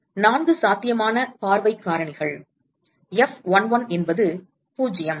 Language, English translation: Tamil, These are the four possible view factors, F11 is 0